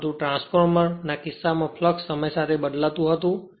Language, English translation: Gujarati, But in the case of transformer the flux was your time varying right